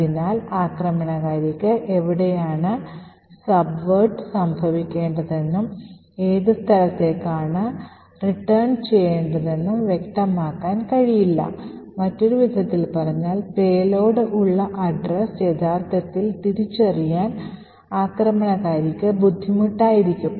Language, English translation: Malayalam, Therefore, the attacker would not be able to specify where the subversion should occur and to which location should the return be present, on other words the attacker will find it difficult to actually identify the address at which the payload would be present